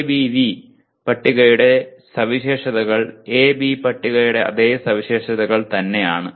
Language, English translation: Malayalam, All those features are the same in ABV table as well